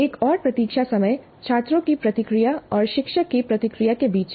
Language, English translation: Hindi, And there is another wait time between the students' response and the teacher's response